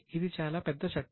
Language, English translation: Telugu, It's a very big act